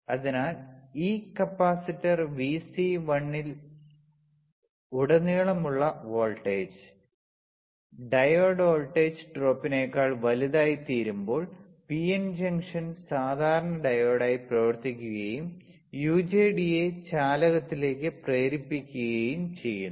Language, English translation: Malayalam, So, when the voltage across this capacitor Vc1, this one becomes greater than the diode voltage drop the PN junction behaves as normal diode and becomes forward biased triggering UJT into conduction, right